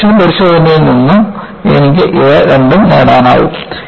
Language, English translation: Malayalam, I can get both of this, from a tension test